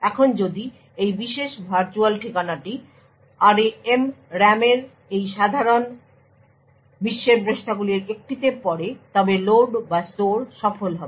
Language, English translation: Bengali, Now if this particular virtual address falls in one of this normal world pages in the RAM then the load or store will be successful